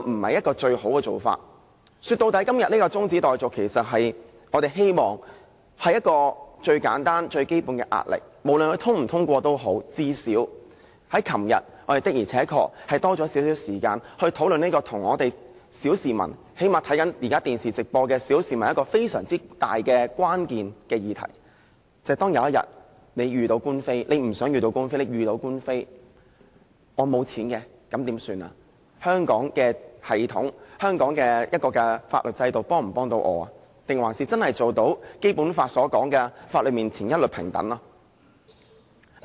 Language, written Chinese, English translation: Cantonese, 說到底，我們希望透過今天的中止待續議案，給政府最簡單和最基本的壓力，無論議案通過與否，最少我們昨天的而且確有多點時間討論與小市民——最低限度現時正在收看電視直播的小市民——非常有關的議題，便是當有一天，你雖不想、但遇到官非，而你沒有錢的時候應怎麼辦？香港的法律制度能否幫助自己，能否做到《基本法》所提及的在法律面前一律平等呢？, In gist we hope to exert the slightest and most basic degree of pressure on the Government through the adjournment motion today . Irrespective of the passage or otherwise of the motion at least we indeed had more time to discuss issues very closely related to ordinary people yesterday―at least those ordinary people who are watching the television live broadcast now―including the question of what they should do in the face of undesired lawsuits one day if they had no money and whether the legal system of Hong Kong could offer any help to them and fulfil the Basic Law assertion that all people shall be equal before the law